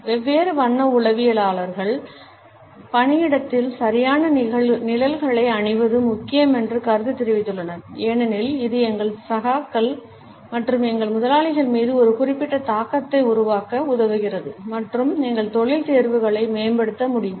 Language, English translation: Tamil, Different color psychologists have commented that wearing the right shades at workplace is important because it helps us in creating a particular impact on our colleagues as well as on our bosses and can enhance our career choices